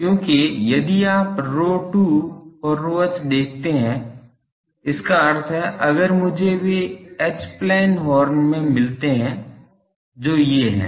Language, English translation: Hindi, Because, if you see rho 2 and rho h means if I get those H plane these are in